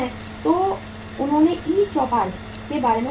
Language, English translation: Hindi, So they have, you must have heard about the e Choupal